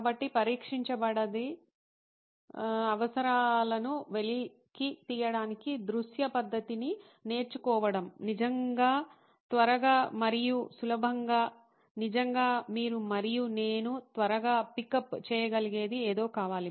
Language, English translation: Telugu, So, really quick and easy to learn visual method to unearth needs that have not been expressed is really the need of the hour we want something that you and I can quickly pickup